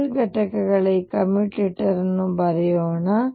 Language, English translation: Kannada, Let us write these commutators of L components